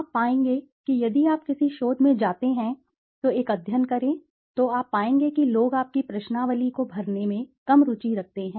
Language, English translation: Hindi, You will find if you go to a research, conduct a study, you will find that people are less interested in filling your questionnaires